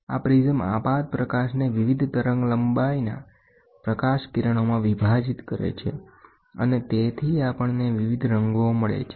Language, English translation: Gujarati, This prism split the incident light into light rays of different wavelengths and hence, therefore we get different colors